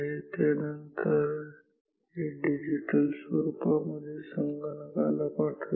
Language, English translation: Marathi, And, this will then pass this value in the digital form to a computer